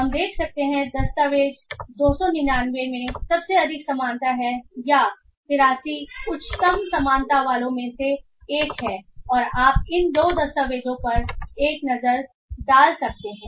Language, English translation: Hindi, So we can find the document 299 has the highest similarity or one of those with the highest similarity is 83 and you can find you can have a look into these two documents